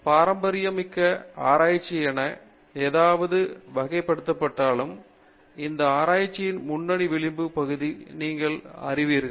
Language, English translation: Tamil, So even though something may be classified as a traditional research you may, you will have you know leading edge part of that research going on